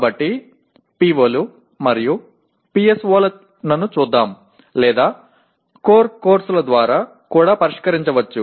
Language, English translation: Telugu, So let us look at POs and PSOs or and also can be addressed through core courses